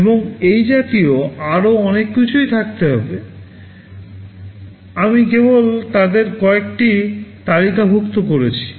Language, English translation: Bengali, And there can be many more such things, I have only listed a few of them